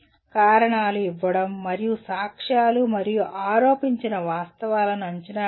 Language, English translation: Telugu, Giving reasons and evaluating evidence and alleged facts